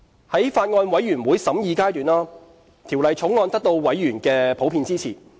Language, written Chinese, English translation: Cantonese, 在法案委員會審議階段，《條例草案》得到委員的普遍支持。, In the course of deliberation members of the Bills Committee generally expressed their support for the Bill